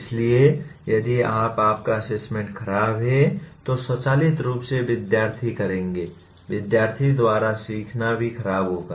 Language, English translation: Hindi, So if you, your assessment is poor, automatically the students will, the learning by the students will also be poor